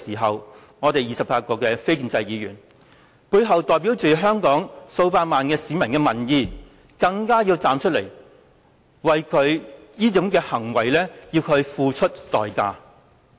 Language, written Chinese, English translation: Cantonese, 因此，我們28名背後代表着香港數百萬名市民的民意的非建制議員更應該站出來，要求他為這種行為付出代價。, Therefore we 28 Members of the non - establishment camp who represent the views of millions of Hong Kong people should stand out and urge LEUNG Chun - ying to pay for what he had done